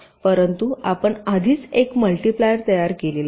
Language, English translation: Marathi, but already you have design, a multiplier